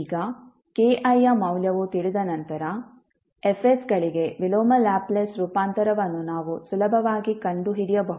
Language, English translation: Kannada, Now, once the value of k i are known, we can easily find out the inverse Laplace transform for F s